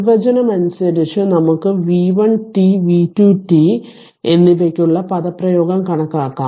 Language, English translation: Malayalam, So, by definition we can calculate the expression for v 1 t and v 2 t